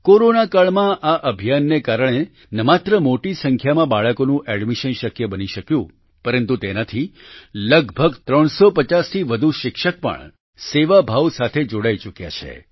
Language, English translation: Gujarati, During the Corona period, due to this campaign, not only did the admission of a large number of children become possible, more than 350 teachers have also joined it with a spirit of service